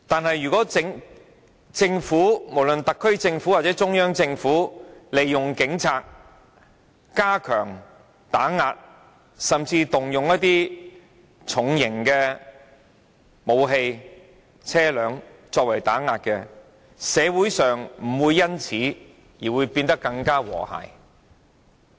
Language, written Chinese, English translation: Cantonese, 然而，即使政府——不論是特區政府或中央政府——利用警察加強打壓，甚至動用重型武器或車輛進行打壓，社會亦不會因此而變得更加和諧。, However even if the Government―be it the SAR Government or the Central Government―uses the Police Force to step up suppression and even mobilizes potent weapons or vehicles to engage in acts of suppression the society will not become more harmonious because of this